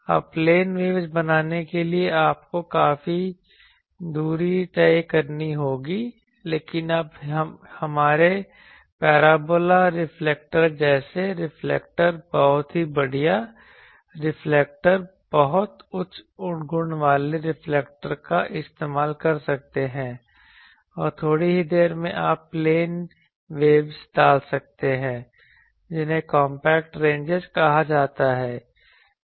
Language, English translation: Hindi, Now to create plane waves you would require a lot a lot of distance, but you can use reflectors like our parabola reflector, so that reflector very fine reflector very high quality reflector and in a short space you can put plane waves those are called compact ranges